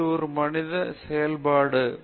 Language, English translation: Tamil, So, this is a human function curve